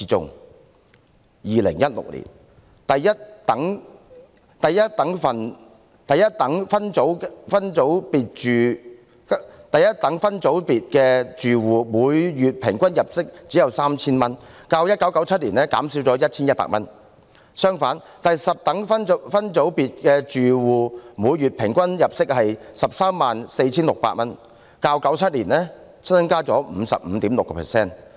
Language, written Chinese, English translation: Cantonese, 在2016年，第一等分組別住戶的每月平均入息只有 3,000 元，較1997年減少 1,100 元；相反，第十等分組別住戶的每月平均入息為 134,600 元，較1997年增加 55.6%。, In 2016 the monthly average household income in the first decile group was only 3,000 a decrease of 1,100 compared to 1997; in contrast the monthly average household income in the 10 decile group was 134,600 an increase of 55.6 % compared to 1997